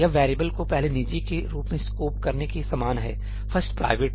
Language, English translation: Hindi, This is same as scoping the variable as first private ñ ëfirst private jí